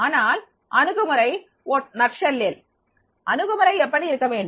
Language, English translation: Tamil, But the approach, so in nutshell what should be the approach